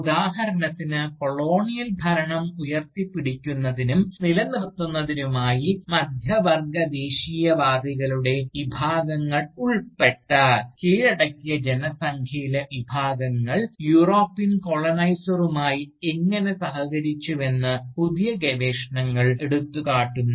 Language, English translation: Malayalam, For instance, new research has highlighted, how sections of the subjugated population, including sections of Middle Class Nationalists, collaborated with the European Colonisers, to uphold and sustain the Colonial rule